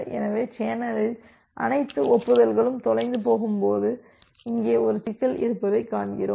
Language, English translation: Tamil, So, we see that there is a problem here when all the acknowledgement got lost in the channel